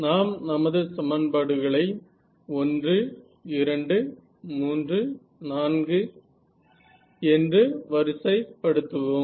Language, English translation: Tamil, So, let us number our equations was 1 2 3 4 ok